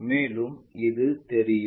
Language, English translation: Tamil, And this one will be visible